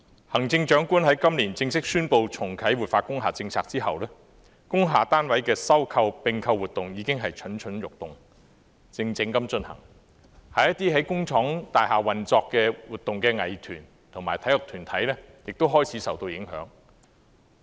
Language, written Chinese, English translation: Cantonese, 行政長官在今年正式宣布重啟活化工廈政策後，工廈單位的收購和併購活動已經蠢蠢欲動，靜靜地進行，一些在工業大廈運作和活動的藝團及體育團體亦開始受到影響。, Ever since the Chief Executive officially announced this year to reactivate the policy of revitalizing industrial buildings merger and acquisition activities related to industrial building units have been surreptitiously going on and are poised to burgeon . They have begun to affect some art groups and sports organizations operating in industrial buildings